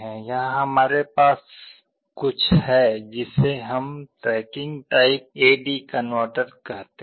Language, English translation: Hindi, Here we have something called tracking type A/D converter